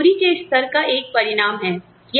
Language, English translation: Hindi, It is a result, of the level of wages